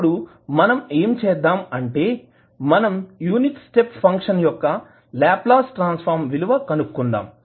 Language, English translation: Telugu, Now, what we have to do we have to find out the value of the Laplace transform of unit step function